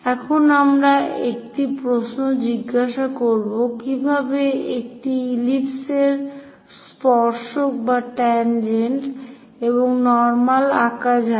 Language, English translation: Bengali, Now, we will ask a question how to draw a tangent and normal to an ellipse